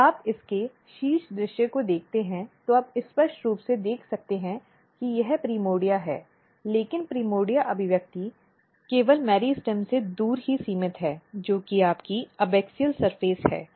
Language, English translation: Hindi, If you look the top view of it you can clearly see that this is the primordia, but in the primordia expression is only restricted away from the meristem which is your abaxial surface